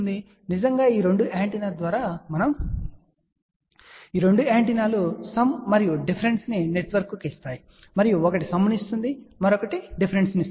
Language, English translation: Telugu, We actually come through these 2 antenna and this 2 antennas come to the sum and difference network, and one will give the sum another one gives the difference ok